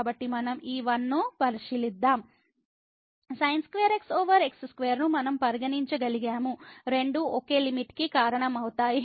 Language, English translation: Telugu, So, what we have let us consider this 1 we could have considered square over square both will result to the same limit